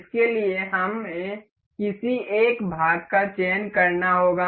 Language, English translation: Hindi, For this we have to select one any one of the part